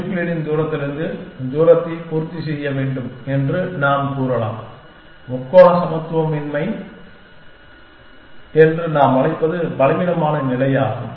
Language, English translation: Tamil, From Euclidean distance, we can say that the distance should satisfy, what we call as a triangular inequality which is the weaker condition